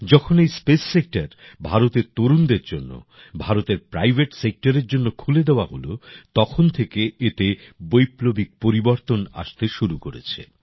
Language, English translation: Bengali, Since, the space sector was opened for India's youth and revolutionary changes have started coming in it